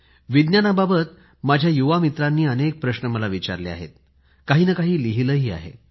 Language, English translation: Marathi, My young friends have asked me many questions related to Science; they keep writing on quite a few points